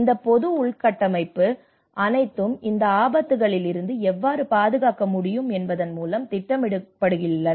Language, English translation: Tamil, So all this public infrastructure, how they are able to protect against these hazards